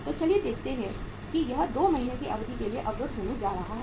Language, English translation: Hindi, So let us see and the it is going to be blocked for a period of 2 months